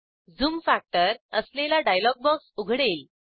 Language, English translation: Marathi, A dialog box with zoom factor (%) opens